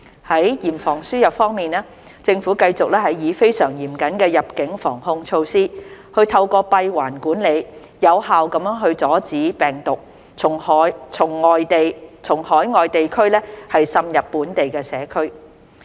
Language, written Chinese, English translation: Cantonese, 在嚴防輸入方面，政府繼續以非常嚴謹的入境防控措施，透過閉環管理，有效地阻止病毒從海外地區滲入本地社區。, On the prevention of importation of cases the Government will continue to prevent the virus from slipping into the local community from overseas places through very stringent border control measures and closed - loop management arrangements